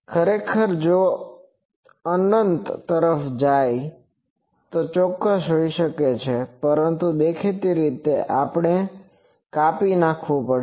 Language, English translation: Gujarati, Actually if it goes to infinity these can be exact, but; obviously, we have to truncate